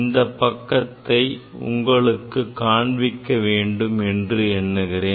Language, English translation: Tamil, I think this page I have to show